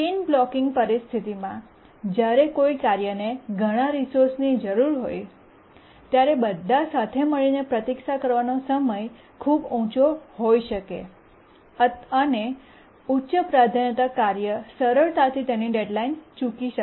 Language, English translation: Gujarati, And in the chain blocking situation when a task needs multiple resources, the waiting time altogether can be very high and a high priority task can easily miss the deadline